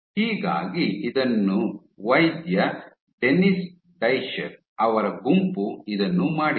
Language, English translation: Kannada, So, this was done in the group of doctor Dennis Discher